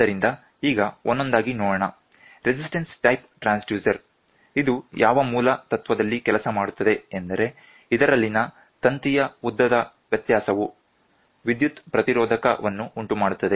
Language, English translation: Kannada, So, let us see one by one, resistance type transducer, the basic principle of which is a resistance type pressure transducer works in which the variation in the length of the wire causes a change in it is electrical resistance